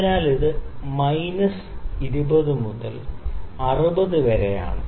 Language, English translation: Malayalam, So, it is minus 20 degree to 60 degree centigrade